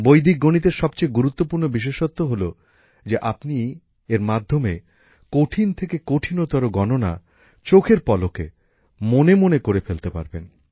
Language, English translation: Bengali, The most important thing about Vedic Mathematics was that through it you can do even the most difficult calculations in your mind in the blink of an eye